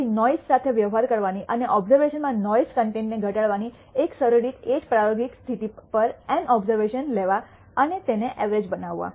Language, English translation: Gujarati, So, one simple way of dealing with noise and reducing the noise content in observations is to take n observations at the same experimental condition and average them